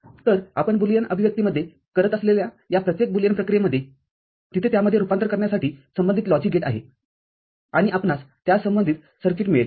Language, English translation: Marathi, So, every this Boolean operation that you we do in the Boolean expression, there is a corresponding logic gate to convert it to that and we get the corresponding circuit made